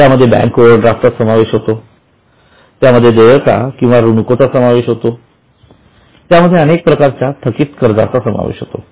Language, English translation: Marathi, They include bank overdraft, they include payables or creditors, they include variety of outstanding expenses